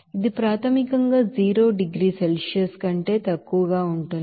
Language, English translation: Telugu, Here this is basically less than 0 degrees Celsius we can say